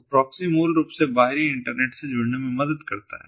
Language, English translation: Hindi, so proxy basically connects, helps to connect to the ex external internet